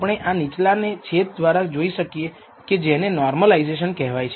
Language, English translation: Gujarati, We can look at this division by the denominator as what is called normalisation